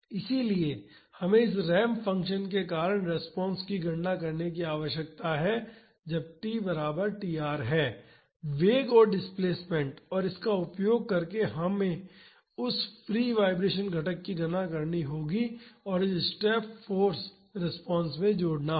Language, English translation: Hindi, So, we need to calculate the response due to this ramp function at t is equal to tr velocity and the displacement and using that we have to calculate that free vibration component and add to this step force response